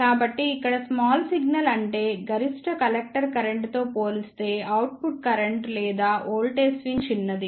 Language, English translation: Telugu, So, here small signal means that the output current or voltage swing is small as compared to the maximum collector current